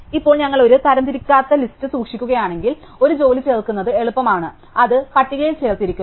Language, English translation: Malayalam, Now if we keep an unsorted list, then it is easy to add a job, which is up to appended to the list